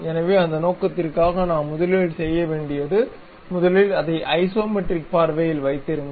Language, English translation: Tamil, So, for that purpose, what we have to do first of all keep it in isometric view